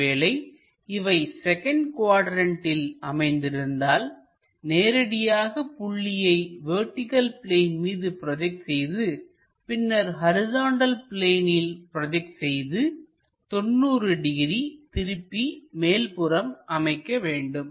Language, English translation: Tamil, If it is in second quadrant again we project that,if it is in second quadrant we will straight away project this point on to vertical plane, horizontal plane project it then rotate it 90 degrees it comes all the way up